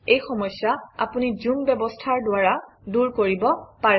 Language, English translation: Assamese, You can solve this through the zoom feature